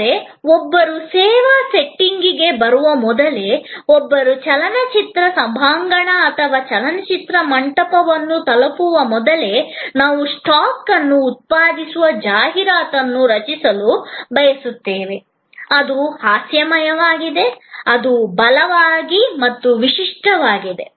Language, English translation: Kannada, But, even before one comes to the service setting, even before one reaches the movie auditorium or movie hall, we would like to create a advertising that generate stock; that is humorous; that is compelling, unique